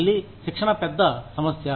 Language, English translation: Telugu, Again, training is a big issue